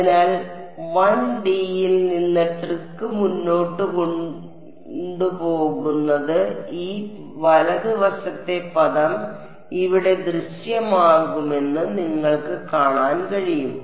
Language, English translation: Malayalam, So, you can see that the carrying the trick forward from 1D the boundary condition is going to appear this right hand side term over here